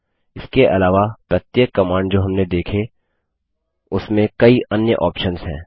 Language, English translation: Hindi, Moreover each of the command that we saw has many other options